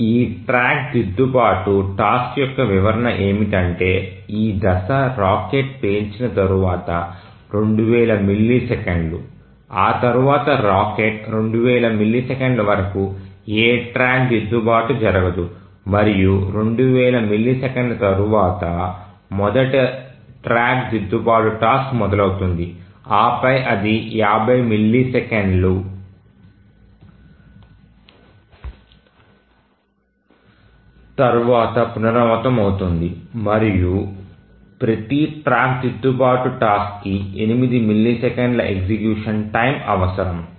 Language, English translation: Telugu, So, that's the description of this track correction task that the phase is 2,000 milliseconds after the rocket is fired for 2,000 milliseconds, no track correction takes place and after 2,000 milliseconds the first track correction task starts and then it requires after 50 milliseconds and each track correction task requires 8 milliseconds of execution time and the deadline for each task once it is released is also 50 milliseconds